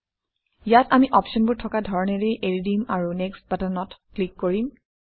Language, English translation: Assamese, Here, we will leave the options as they are and click on Next